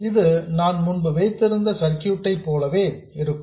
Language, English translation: Tamil, This is exactly the same as the circuit I had before